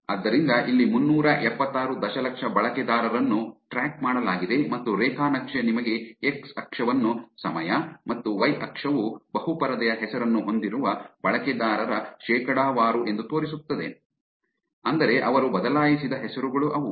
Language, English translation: Kannada, So, here, 376 million users were tracked, and the graph is showing you x axis to be the time, and y axis to be the percentage of users with multiple screen names, which is names that they have changed